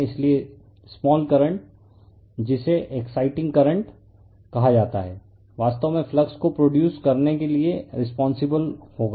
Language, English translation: Hindi, So, small current called exciting current will be responsible actually for you are producing the flux